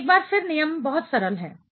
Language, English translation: Hindi, Now, once again the rule is very simple